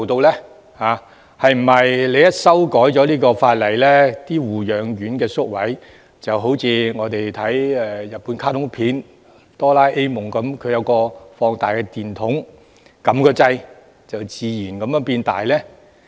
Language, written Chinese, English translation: Cantonese, 是否法例一經修改，護養院宿位就如日本卡通片"多啦 A 夢"的放大電筒般，按掣後會自動變大？, Will nursing home places expand automatically at the press of a button upon the amendment just like using the magnifying torch in the Japanese cartoon Doraemon?